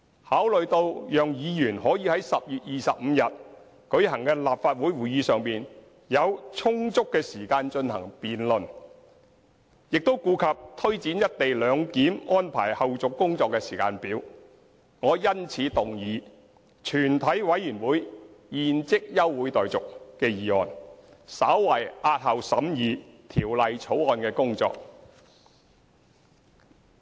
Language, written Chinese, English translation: Cantonese, 考慮到讓議員可於10月25日舉行的立法會會議上有充足時間進行辯論，亦顧及推展"一地兩檢"安排後續工作的時間表，我因此動議"全體委員會現即休會待續"的議案，稍為押後審議《條例草案》的工作。, Considering the need to give Members enough time to debate the motion at the Council meeting of 25 October and having regard to the timetable for taking forward the follow - up tasks of the co - location arrangement I therefore move this motion that further proceedings of the committee be now adjourned to slightly postpone the scrutiny of the Bill